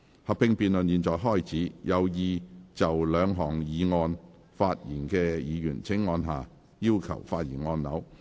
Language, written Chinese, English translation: Cantonese, 合併辯論現在開始，有意就這兩項議案發言的議員請按下"要求發言"按鈕。, The joint debate now begins . Members who wish to speak on the two motions will please press the Request to speak button